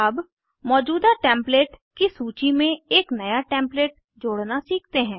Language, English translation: Hindi, Now lets learn to add a New template to the existing Template list